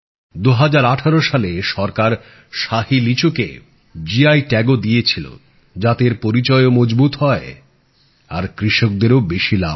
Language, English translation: Bengali, In 2018, the Government also gave GI Tag to Shahi Litchi so that its identity would be reinforced and the farmers would get more benefits